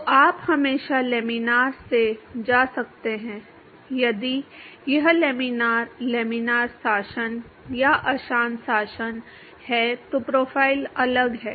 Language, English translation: Hindi, So, you could always go from laminar if it is laminar, laminar regime or turbulent regime the profiles are different